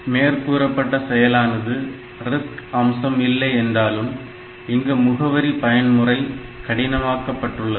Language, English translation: Tamil, So, this though it is not a RISC feature because now; we are making the addressing mode complex ok